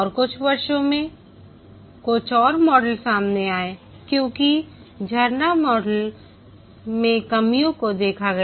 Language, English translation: Hindi, And over the years, few more models came up as the shortcomings of the waterfall model were noticed